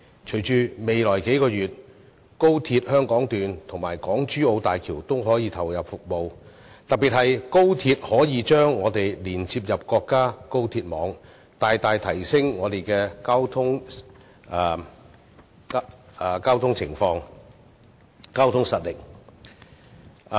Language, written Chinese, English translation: Cantonese, 隨着高鐵香港段及港珠澳大橋在未來數月投入服務，特別是高鐵可以把我們連接到國家高鐵網，將大大改善我們的交通情況和提升交通實力。, With the commissioning of the Hong Kong Section of XRL and the Hong Kong - Zhuhai - Macao Bridge HZMB in the next few months particularly as XRL will connect us to the national high - speed rail network we will see remarkable improvement and enhanced competitiveness in our transport